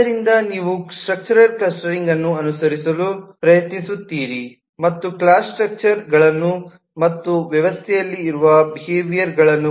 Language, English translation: Kannada, so you are trying to follow a structural clustering and identifying the class structures and behaviours that exist in the system